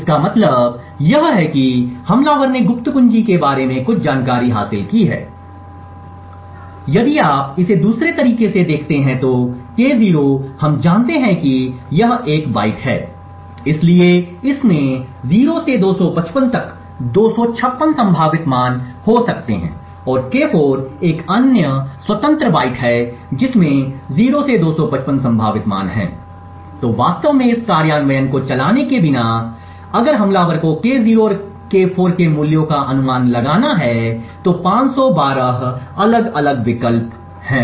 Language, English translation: Hindi, What this means is that the attacker has gained some information about secret key if you look at this in other way K0 we know is a byte therefore it has like 256 possible values from 0 to 255 and K4 is another independent byte which has also 0 to 255 possible values, so without actually running this implementation if the attacker has to guess the values of K0 and K4 there are 512 different options